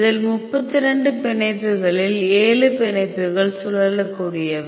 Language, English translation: Tamil, So, in this we can see 7 bonds are rotatable out of 32 bonds